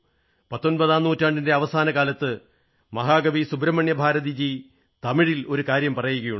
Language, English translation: Malayalam, Towards the end of the 19th century, Mahakavi Great Poet Subramanya Bharati had said, and he had said in Tamil